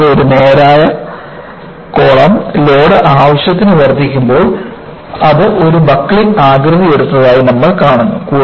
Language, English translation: Malayalam, And, you see that a column, which was straight, when the load is sufficiently increased, it has taken a buckled shape